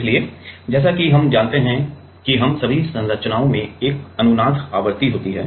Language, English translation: Hindi, So, as we know that all the us all the structures have a have a resonance frequency